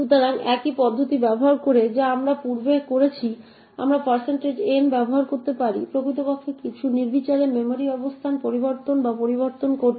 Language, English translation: Bengali, So, using the same approach that we have done previously we can use % n to actually change or modify some arbitrary memory location